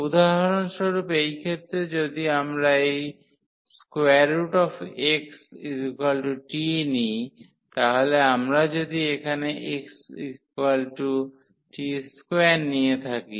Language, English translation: Bengali, So, for instance in this case if we take this square root x as a t so, if we have taken here square root x as t